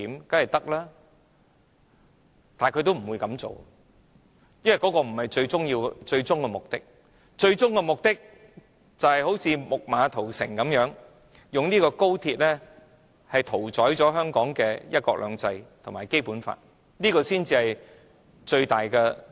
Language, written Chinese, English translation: Cantonese, 但是，政府不會這樣做，因為這不是最終的目的，最終的政治目的是如"木馬屠城"般，用高鐵屠宰香港的"一國兩制"及《基本法》。, However the Government will not do so for this is not the ultimate end . The ultimate political end is to slaughter one country two systems and the Basic Law of Hong Kong by using XRL as a Trojan horse